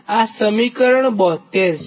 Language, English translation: Gujarati, this is equation seventy two